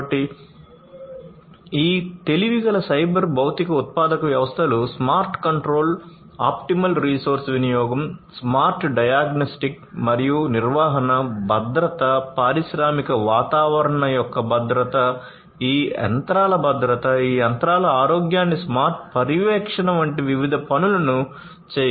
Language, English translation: Telugu, So, these smarter cyber physical manufacturing systems can perform different things such as smart control, optimal resource utilization, smart diagnostics and maintenance, safety, safety of the industrial environment, safety of these machines, smart monitoring of the health of these machines